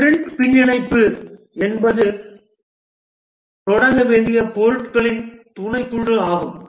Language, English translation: Tamil, The sprint backlog is a subset of items to start with